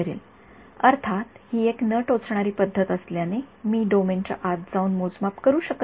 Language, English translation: Marathi, Outside the domain; obviously, because it is a non invasive method I cannot go inside the domain and measure field